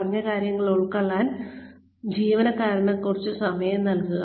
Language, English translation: Malayalam, Give the employee, some time to absorb, what has been said